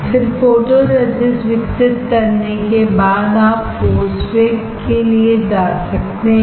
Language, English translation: Hindi, Then after developing photoresist you can go for post bake